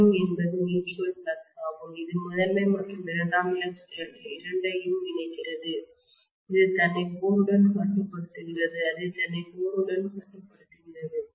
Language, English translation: Tamil, Phi m is the mutual flux, which is linking both primary and secondary, which is confining itself to the core, it is just confining itself to the core